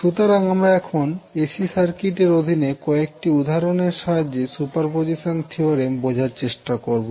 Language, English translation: Bengali, So, now let us understand the superposition theorem with the help of few examples under AC circuit